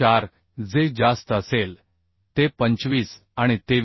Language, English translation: Marathi, 4 whichever is greater so 25 and 23